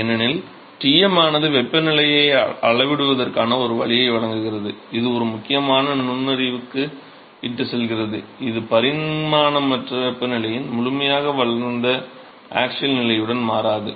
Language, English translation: Tamil, Because we say that Tm provides a way to scale the temperature which leads to a an important insight that the non dimensional temperature profile does not change with the axial position in the fully developed regime